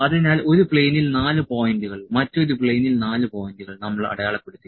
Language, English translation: Malayalam, So, the 4 points in one plane, the 4 points in other plane we have marked